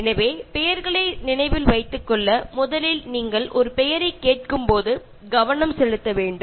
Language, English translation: Tamil, So, to remember names, you should pay attention to a name when you first hear it